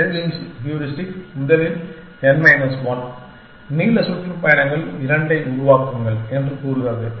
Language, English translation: Tamil, The savings heuristic says that, first construct n minus 1 tours of length 2